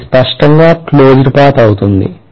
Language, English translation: Telugu, That will be a closed path clearly